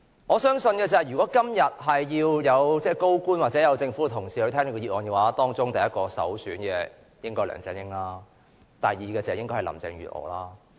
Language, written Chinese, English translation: Cantonese, 我相信如果今天要有高官或政府同事到來聽這項議案的話，當中首選的人應是梁振英，第二位便應是林鄭月娥。, Speaking of which top officials or government officials should attend this motion debate today I think LEUNG Chun - ying should be the first choice and Carrie LAM should be the second